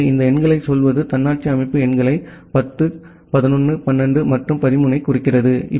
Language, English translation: Tamil, So, to say this numbers denote the autonomous system numbers 10, 11, 12 and 13